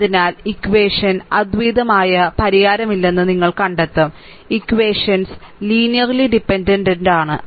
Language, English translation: Malayalam, So, in that case you will find ah ah the equation has no unique solution; where equations are linearly dependent